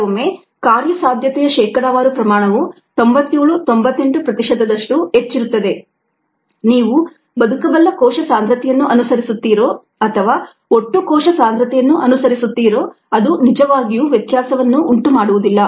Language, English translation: Kannada, sometimes the viability percentages are very high ninety, seven, ninety, eight percent that it doesn't really make a difference whether you follow viable cell concentration or total cell concentration ah